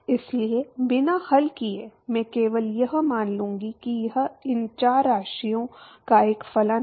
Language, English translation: Hindi, So, without solving I will simply assume that it is a function of these four quantities